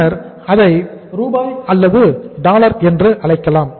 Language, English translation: Tamil, And then you call it whether it is in the rupees or dollars